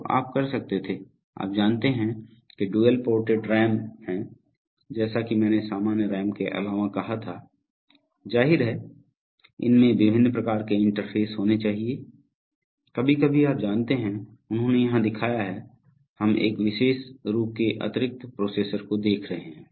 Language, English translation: Hindi, So you could have, you know dual ported RAM’s, as I said apart from the normal RAM’s, obviously the, these have, there has to be various kinds of interfaces, sometimes, you know here, they have shown here, we are seeing a particular another additional processor